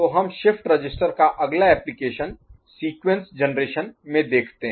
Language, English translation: Hindi, So, next we look at application of a shift register in sequence generation, ok